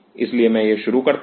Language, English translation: Hindi, So, let me introduce that